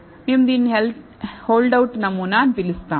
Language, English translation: Telugu, This is the hold out sample as we call it